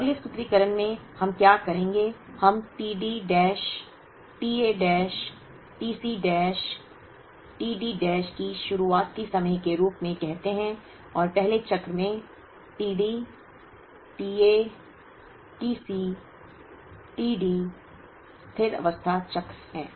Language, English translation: Hindi, So, in the next formulation what we would do is we call t D dash, t A dash, t C dash, t D dash as the start time, in the first cycle and t D, t A, t C, t D in the steady state cycle